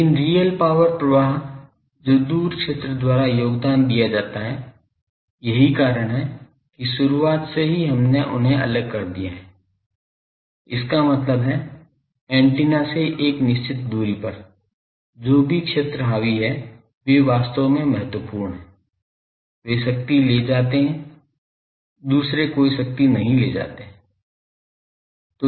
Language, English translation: Hindi, But real power flow that is contributed by far field that is why from the very beginning we have separated them; that means, at a certain distance from the antenna, whatever fields dominate, they are actually important they carry power others do not carry any power